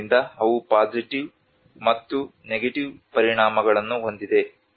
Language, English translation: Kannada, So they have both positive and negative impacts